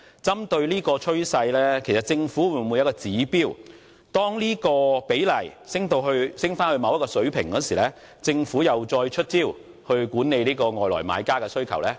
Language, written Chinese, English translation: Cantonese, 針對這個趨勢，政府會否制訂指標，每當此比例升至某一水平，便再次出招管理外地買家的需求？, Given this trend will the Government set a threshold to take measures to suppress the demand of non - local buyers when the proportion of non - local individual buyers exceeds a certain level?